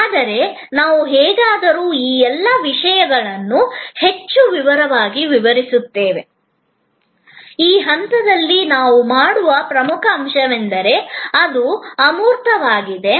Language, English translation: Kannada, But, we will anyway explain all these points much more in detail, the key point that we are at this stage making is that, because it is intangible